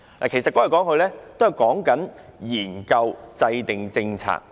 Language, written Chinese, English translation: Cantonese, "其實說來說去，也是在說研究制訂政策。, So it is only talking about studying the formulation of policies